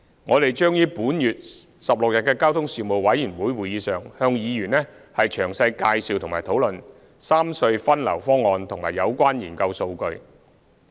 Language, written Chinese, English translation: Cantonese, 我們將於本月16日的交通事務委員會會議上向議員詳細介紹和討論三隧分流方案和有關研究數據。, We will brief Members in detail at the meeting of the Panel on Transport on the 16 of this month and hold discussion with Members on the proposal to rationalize traffic distribution among the three RHCs and the relevant research data